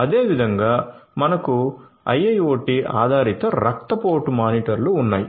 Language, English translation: Telugu, Similarly, one could have one has we have IIoT based blood pressure monitors